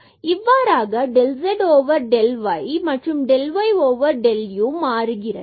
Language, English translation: Tamil, So, this is x del z over del x and then minus this is y and del z over del y